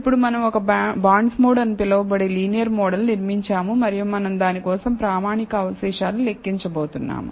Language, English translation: Telugu, Now, we built a linear model called bondsmod and we are going to calculate the standardized residuals for it